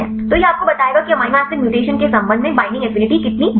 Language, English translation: Hindi, So, this will tell you how far the binding affinity changes with the respect to amino acid mutation fine